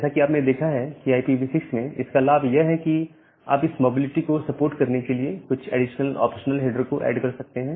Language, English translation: Hindi, So, as you have seen that the advantage of IPv6 is that, you can add a additional number of optional headers to support this mobility